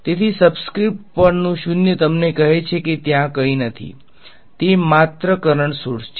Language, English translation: Gujarati, So, the naught on the sub script tells you that there is nothing; it is just a current sources ok